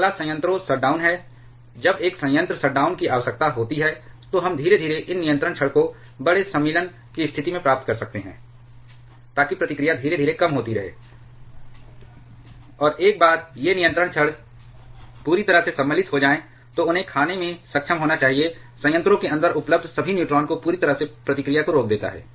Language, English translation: Hindi, Next is the reactor shutdown, when there is a plant shutdown required then we can gradually get these control rods into larger insertion position so that the reactivity keeps on reducing gradually, and once these control rods are completely inserted, then they should be able to eat up all the neutrons available inside the reactor thereby completely stopping the reaction